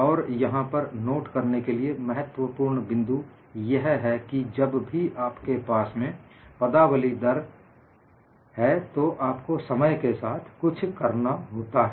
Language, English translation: Hindi, And a very important point to note is, whenever you have the terminology rate, you expect something to do with time